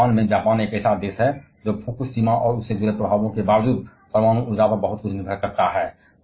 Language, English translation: Hindi, And also, in Japan, Japan is a country that depends a lot on nuclear energy despite that Fukushima and associated effects